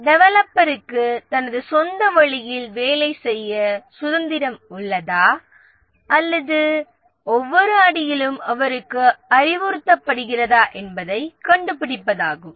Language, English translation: Tamil, The developer has freedom to work on his own way or he is told every step